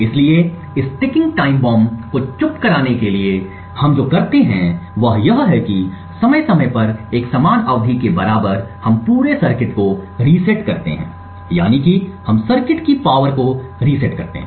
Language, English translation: Hindi, So, in order to silence this ticking time bomb what we do is that at periodic intervals of time at periods equal to that of an epoch we reset the entire circuit that is we reset the power of the circuit